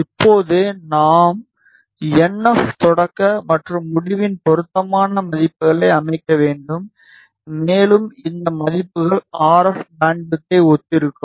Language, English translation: Tamil, Now, we have to set appropriate values of NF start and NF end and these values will correspond to the RF bandwidth